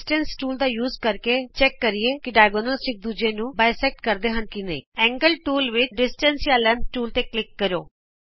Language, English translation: Punjabi, Using the Distance tool, lets check whether the diagonals bisect each other Under the Angle tool, click on the Distance or Length tool